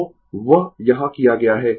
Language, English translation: Hindi, So, that has been done here